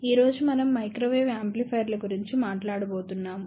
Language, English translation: Telugu, Today, we are going to talk about Microwave Amplifiers